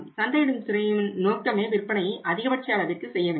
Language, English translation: Tamil, Target of the marketing department is that they shall maximize the sales